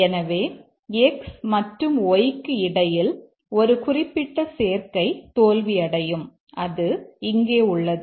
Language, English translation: Tamil, So, a specific combination between x and y, it will fail and that's here